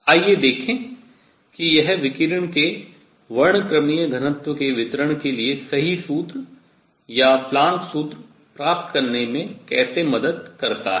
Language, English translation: Hindi, Let us see how this helps in getting the right formula or the Planks’ formula for correct formula for the distribution of spectral density of the radiation